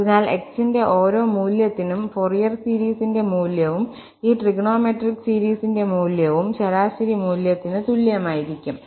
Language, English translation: Malayalam, So, for each value of x, the value of the Fourier series, value of this trigonometric series will be equal to the average value